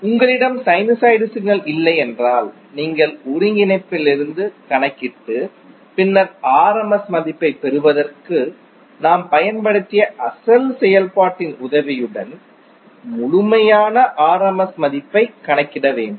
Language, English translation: Tamil, If you do not have sinusoid signal it means that you have to compute from the integral and then calculate the complete rms value with the help of the original function which we just used for derivation of rms value